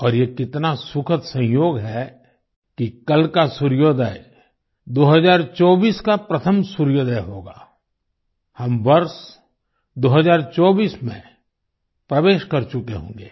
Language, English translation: Hindi, And what a joyous coincidence it is that tomorrow's sunrise will be the first sunrise of 2024 we would have entered the year 2024